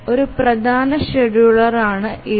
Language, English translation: Malayalam, EDF is an important scheduler